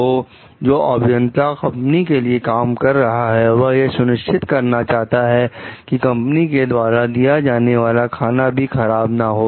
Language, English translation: Hindi, So, engineers who have worked the company assured that the food at the company is not bad